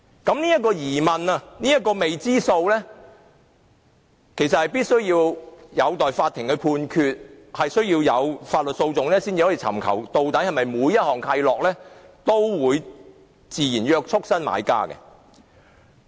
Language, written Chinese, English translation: Cantonese, 其實，這個疑問或未知數必須有待法院判決，以及需要透過法律訴訟才能尋求究竟是否每項契諾均會自然約束新買家。, In fact such a question or uncertainty must be adjudicated by court and whether every covenant will naturally be binding on the new buyers can only be determined through legal proceedings